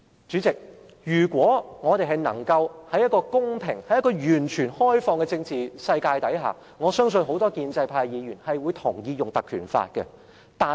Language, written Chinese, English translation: Cantonese, 主席，如果我們是在一個公平、完全開放的政治世界中，我相信很多建制派議員也會同意引用《立法會條例》。, President if we were in a fair and fully open political community I trust many Members from the pro - establishment camp would have agreed to invoking the Legislative Council Ordinance